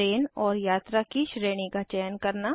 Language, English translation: Hindi, To select the train and the class of travel